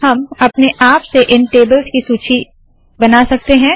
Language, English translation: Hindi, We can create a list of tables automatically